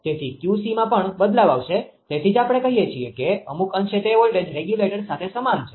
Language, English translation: Gujarati, So, QC also will varying that is why it is analogous to to some extent that is we call it is analogous to voltage regulator right